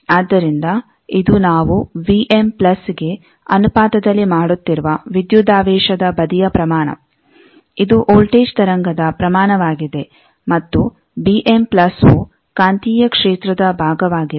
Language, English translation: Kannada, So, this is a voltage side quantity that we are making proportional to m plus the magnitude of the voltage wave and b m plus was the magnetic field part